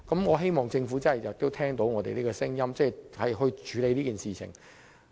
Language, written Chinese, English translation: Cantonese, 我希望政府能夠聆聽我們的聲音，處理此事。, I hope the Government will listen to our voice and address this issue